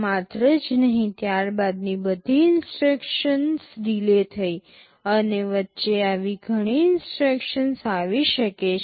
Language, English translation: Gujarati, Not only this, all subsequent instructions got delayed and there can be many such instructions like this in between